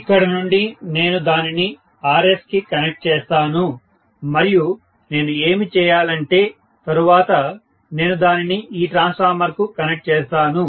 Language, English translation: Telugu, From here I will connect it to Rs and whatever I have to do and then I will connect it to this transformer